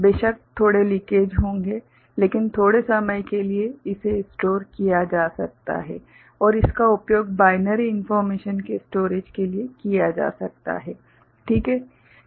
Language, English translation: Hindi, Of course, there will be small leakage; but for a short time it can be stored and that can be used for storing binary information, ok